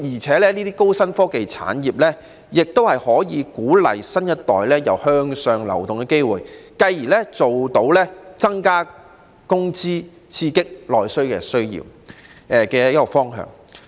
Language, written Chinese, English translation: Cantonese, 此外，高新科技產業可以為新一代提供向上流動的機會，繼而增加工資，刺激內需。, In addition the high - tech industry can provide the new generation with opportunities for upward mobility thereby increasing wages and stimulating domestic demand